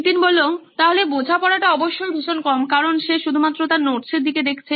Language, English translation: Bengali, So understanding will obviously be low because he is only looking at his notes